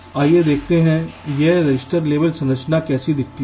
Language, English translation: Hindi, let see how this register level to structures look like